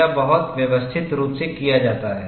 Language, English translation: Hindi, This is very systematically done